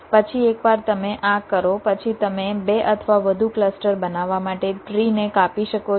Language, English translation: Gujarati, then, once you do this, you can cut the tree to form two or more clusters